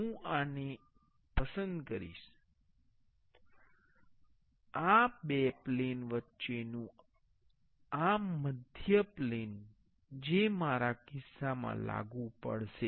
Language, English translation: Gujarati, I will be choosing this one, this midplane between two planes that will be applicable in my case